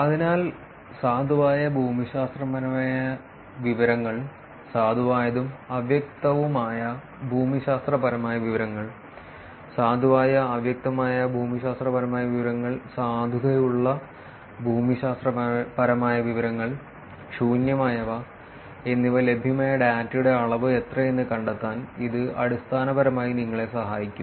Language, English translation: Malayalam, So, this basically would help you to find out, what is the amount of data that is available which is valid geographic information, valid and ambiguous geographic information, valid ambiguous geographic information and valid non geographic information and empty